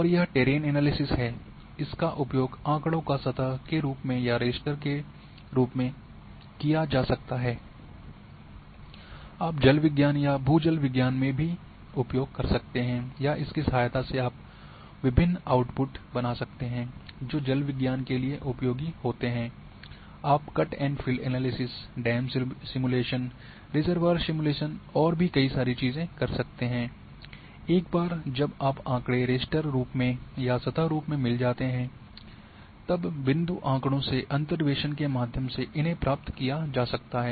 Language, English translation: Hindi, And this is what is that terrain analysis you can perform once a data is in the surface form or in raster; you can also use in hydrology or in ground water hydrology in a or you can drive various outputs which are useful for hydrology, also you can have cut and fill analysis you can have dam simulation reservoir simulation and so many things can be used once the data is in the raster form or in the surface form from derived through interpolation from point data